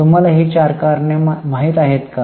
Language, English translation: Marathi, Do you remember those four reasons